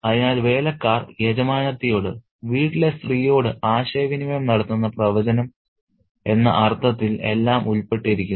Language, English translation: Malayalam, So, everything is implicated in that sense of foreboding that the servants communicate to the mistress of, to the lady of the house